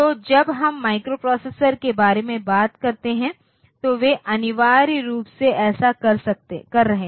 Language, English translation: Hindi, So, when we talk about microprocessor they are essentially doing that